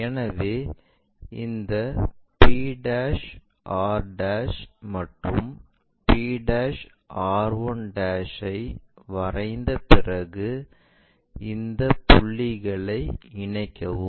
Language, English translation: Tamil, So, after drawing this p' r', p' r' and also p' r 1' connecting these points